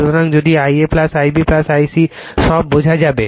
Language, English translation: Bengali, So, if you do your I a plus I b plus I c right all figure some